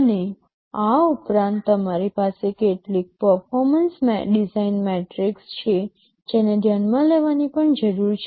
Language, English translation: Gujarati, And in addition you have some performance design metrics that also need to be considered